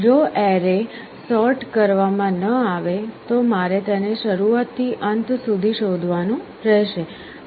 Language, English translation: Gujarati, Well if the if the array was not sorted, then I would have to search it from the beginning to the end